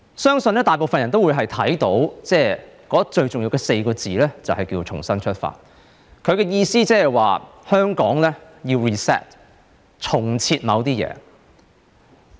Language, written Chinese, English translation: Cantonese, 相信大部分人都會認為最重要的4個字，就是"重新出發"。她的意思是，香港要 reset， 重設某些事。, I believe most people think that the most important word is Renewed meaning that she wants to reset certain matters in Hong Kong